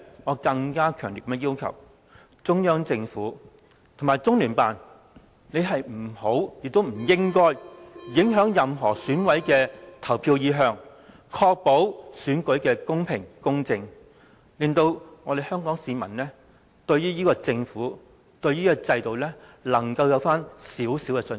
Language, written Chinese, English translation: Cantonese, 我也強烈要求，中央政府和中聯辦不要，亦不應影響任何選委的投票意向，確保選舉公平公正，令香港市民對這個政府和這個制度回復少許信心。, I also strongly ask the Central Government and LOCPG to refrain from affecting the voting intention of EC members so as to ensure the election be conducted under equitable and fair conditions . This can restore some confidence of the public in this Government and this system